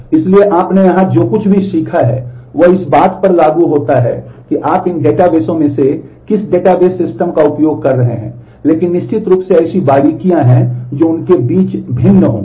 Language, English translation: Hindi, So, what you have learnt here would be applicable irrespective of which database which of these database systems you are using, but of course there are specifics which would be different amongst them